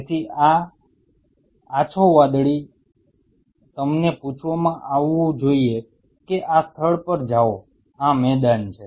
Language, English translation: Gujarati, So, these light blue should be asked to you know move to this spot this is the arena